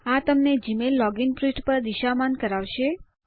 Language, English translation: Gujarati, This will direct you to the Gmail login page